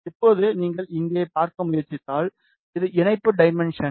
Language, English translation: Tamil, Now, if you try to see here, this is the patch dimension